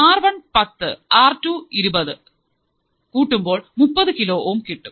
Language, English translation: Malayalam, What is R1, R1 is 10, R2 is 20, so it is 30 kilo ohm